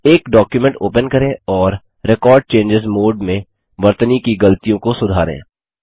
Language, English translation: Hindi, Open a document and make corrections to spelling mistakes in Record Changes mode